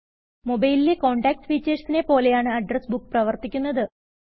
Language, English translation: Malayalam, An address book works the same way as the Contacts feature in your mobile phone